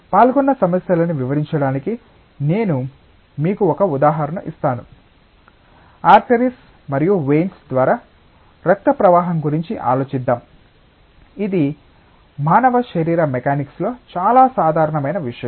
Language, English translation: Telugu, And I will just give you one example to illustrate the complicacies involved; like let us think of flow of blood through arteries and veins, like this is a very common thing in human body mechanics